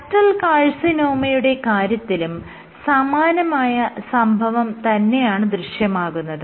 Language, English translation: Malayalam, Same thing happens in case of ductal carcinoma